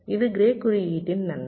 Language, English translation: Tamil, this is the advantage of grey code